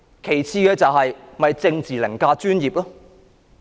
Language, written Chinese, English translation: Cantonese, 其次，這簡單反映政治凌駕專業。, Furthermore this simply reflects that politics has overridden professionalism